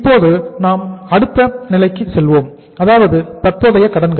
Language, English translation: Tamil, Now we go to the next stage and that stage is the current liabilities